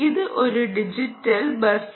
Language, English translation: Malayalam, it's a digital bus